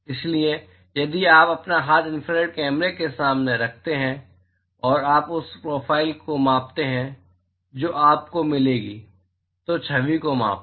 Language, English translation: Hindi, So, if you place your hand in front of the infrared camera and you measure the profile that you will get, measure the image